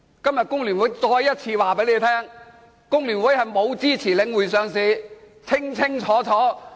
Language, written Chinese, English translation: Cantonese, 今天工聯會再次告訴大家，工聯會沒有支持領匯上市，這是清清楚楚的。, Today FTU has to make it clear to everyone once again that we did not support the listing of The Link REIT . This is a plain fact